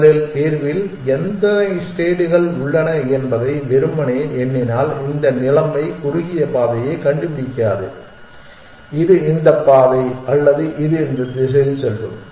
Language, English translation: Tamil, Simply counting how many states are there in the solution first and this situation it will not find the shortest path, which is this one or it will go in this direction